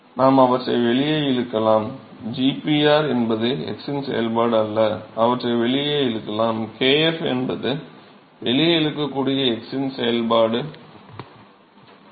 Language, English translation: Tamil, So, we can pull them out g p r is not a function of x we can pull them out pull it out kf is not a function of x that can be pulled out